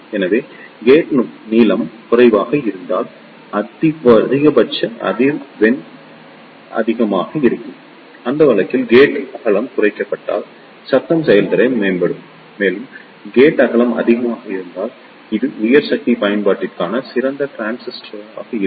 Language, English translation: Tamil, So, if the gate length is less, the maximum frequency will be more and if the gate width is reduced in that case the noise performance will prove and if the gate width is high, this will be a better transistor for the high power application